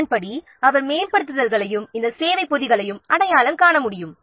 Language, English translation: Tamil, Accordingly, he can identify the upgrades and this service packs